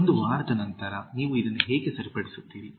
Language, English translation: Kannada, How do you correct this after a week